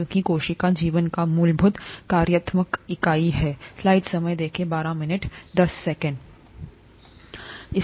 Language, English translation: Hindi, Because cell is the fundamental functional unit of life